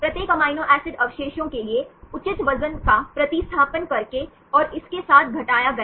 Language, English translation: Hindi, By substituting appropriate weight for each amino acid residues and subtracted with